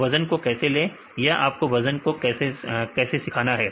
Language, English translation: Hindi, So, how to get the weights right how you have learned the weights